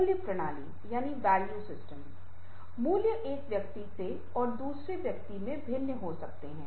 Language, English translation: Hindi, value system: value might differ from person to person, but for some people, what is the value